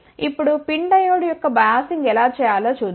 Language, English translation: Telugu, Now, let us see how we do the biasing of the PIN diode